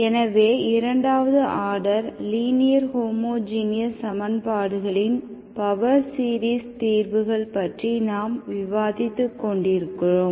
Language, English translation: Tamil, So we were discussing about power series solutions of second order linear homogeneous equations